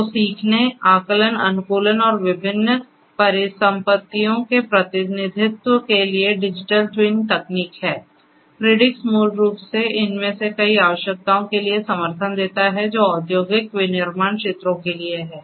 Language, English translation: Hindi, So, Digital Twin technology for learning, estimation, optimization and representation of different assets, so Predix basically has many of these support for many of these requirements that are there for industrial manufacturing sectors